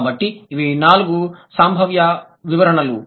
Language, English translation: Telugu, So, these are the four probable explanations